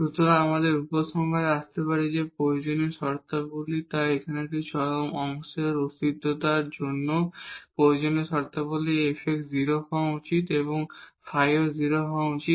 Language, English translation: Bengali, So, we can conclude that the necessary conditions so here the necessary conditions for the existence of an extremum at this point a b is that f x should be 0 and also the f y should be 0